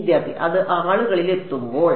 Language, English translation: Malayalam, When it reaches there in people